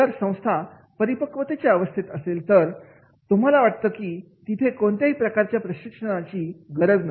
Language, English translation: Marathi, If organization at the maturity level do you think any type of training is required